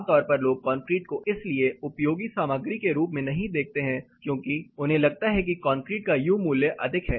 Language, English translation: Hindi, Typically people look at concrete as not so useful material because they think U value was of concrete is high